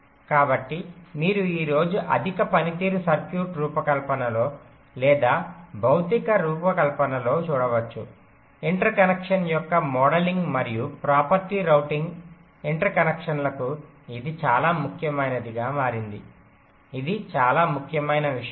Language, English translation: Telugu, so as you can see today in the high performance circuit design or the physical design, modelling of interconnection and property routing the interconnections